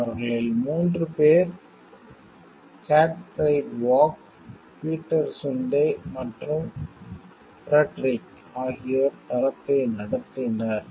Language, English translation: Tamil, Three of them Gottfried Warg, Peter Sunde and Fredrik ran the site